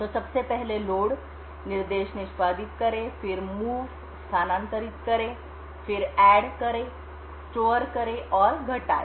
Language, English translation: Hindi, So, firstly load instruction executes, then move, add, store and subtract